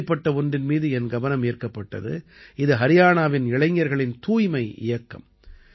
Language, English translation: Tamil, That's how my attention was drawn to a cleanliness campaign by the youth of Haryana